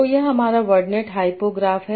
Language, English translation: Hindi, So this is my ordnate hyphening graph